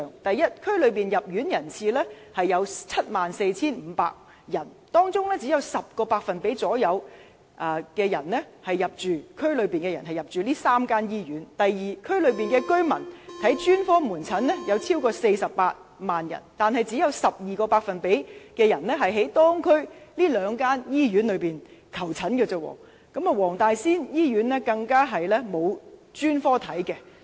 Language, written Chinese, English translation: Cantonese, 第一，該年區內入院人次有 74,500 人，當中只有大約 10% 是區內人士；第二，區內有48萬名居民需要專科門診服務，但只有 12% 的人向區內兩間醫院求診，而黃大仙醫院沒有提供專科門診服務。, First there were 74 500 admissions in that year and only 10 % of them were local residents; second 480 000 residents in the district were in need of specialist outpatient services but only 12 % of them sought medical consultation at the two hospitals in the district and the Wong Tai Sin Hospital does not provide specialist outpatient services